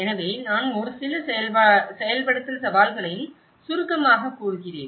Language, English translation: Tamil, So, I am also summarizing a few implementation challenges